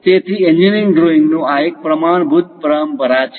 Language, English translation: Gujarati, So, this is a standard convention in engineering drawing